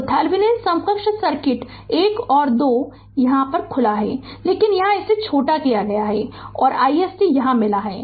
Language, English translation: Hindi, So, what you do in Thevenin thevenin equivalent circuit 1 and 2 are open, but here it is shorted and we got i SC